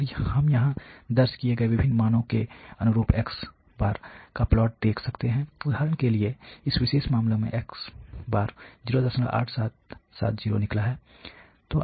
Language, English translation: Hindi, And we can see here the plot of the corresponding to the different values recorded; for example, in this particular case the comes out to be 0